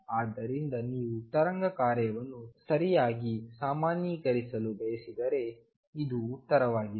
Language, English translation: Kannada, So, this is the answer for this if you want to normalize the wave function right